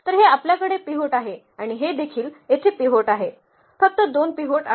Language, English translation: Marathi, So, we have this one as a pivot and this is also pivot here, only there are two pivots